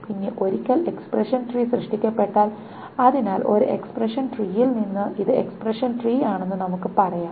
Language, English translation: Malayalam, And then once expression tree is being generated, so from one expression tree, let us say this is expression tree one, each of these equivalence rules is applied